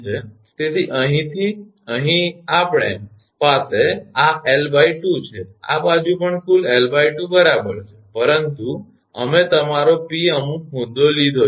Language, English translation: Gujarati, So, from here to here we have this is l by 2 this side also total is l by 2 right, but we have taken some point your P